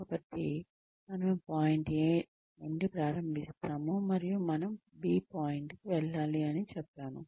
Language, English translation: Telugu, And we say, we need to go to point B